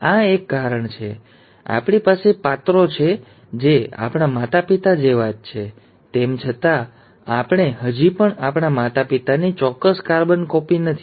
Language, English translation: Gujarati, And this is one of the reasons why, though we have characters which are similar to our parents, we are still not an exact carbon copy of our parents